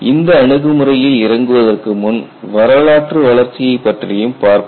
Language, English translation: Tamil, Before we get into the approach, we will also see the historical development